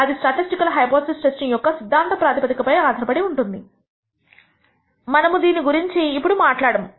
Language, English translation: Telugu, That depends on the theoretical foundations of statistical hypothesis testing, we will not touch upon this